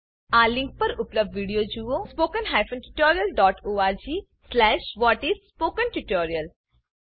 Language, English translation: Gujarati, Watch the video available at http://spoken tutorial.org/what is spoken tutorial